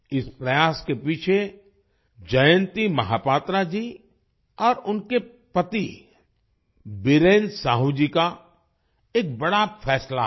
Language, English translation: Hindi, Behind this effort is a major decision of Jayanti Mahapatra ji and her husband Biren Sahu ji